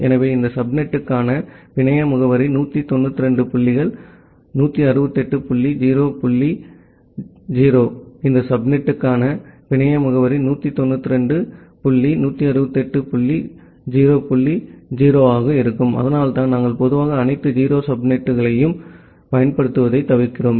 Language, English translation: Tamil, So, the network address for this subnet will be 192 dots 168 dot 0 dot 0; the network address for this subnet will also be 192 dot 168 dot 0 dot 0, and that is why we normally refrain from using all 0 subnet